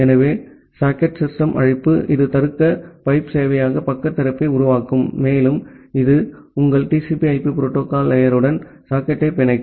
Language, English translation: Tamil, So, the socket system call, it will create the server side opening of the logical pipe and it will bind the socket with your TCP/IP protocol stack